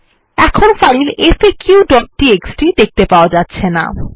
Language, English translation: Bengali, We can no longer see the file faq.txt